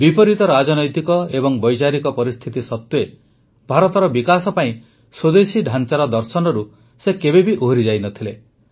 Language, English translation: Odia, Despite the adverse political and ideological circumstances, he never wavered from the vision of a Swadeshi, home grown model for the development of India